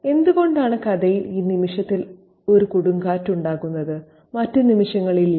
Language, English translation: Malayalam, Why is there a storm at this moment in the story and not in other moments